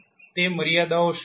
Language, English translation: Gujarati, What are those limitations